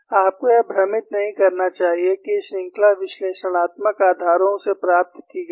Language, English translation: Hindi, You should not confuse that these series have been obtained from analytical bases